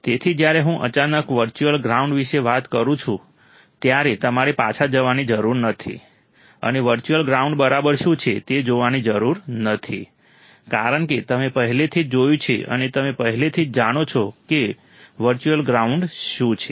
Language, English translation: Gujarati, So, when I talk suddenly about virtual ground, you do not have to go back and see what is virtual ground right, because you have already seen and you have already know what exactly virtual ground is